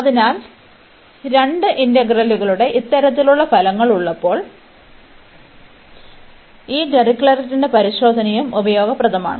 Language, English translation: Malayalam, So, this Dirichlet’s test is also useful, when we have this kind of product of two integrals